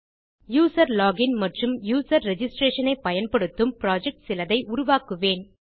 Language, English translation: Tamil, I might create a project on something that uses a user login and user registration